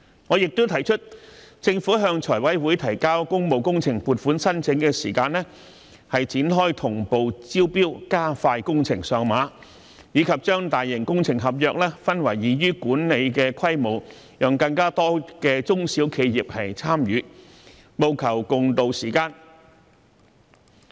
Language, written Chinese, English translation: Cantonese, 我亦提出，政府向財務委員會提交工務工程撥款申請時展開"同步招標"，加快工程上馬，以及把大型工程合約分拆為易於管理的規模，讓更多中小型企業參與，務求共渡時艱。, I have also proposed that the Government should while submitting funding applications of public works projects to the Finance Committee initiate parallel tendering to expedite the launching of works and repackage large - scale works contracts into manageable scales so as to enable more small and medium enterprises to participate for riding out the crisis together